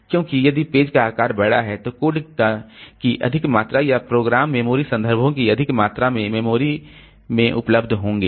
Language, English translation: Hindi, Because the page size is large then more amount of code or more amount of program memory references they will be available in the memory